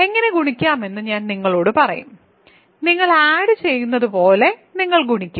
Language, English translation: Malayalam, I will tell you how to multiply, you multiply just like you add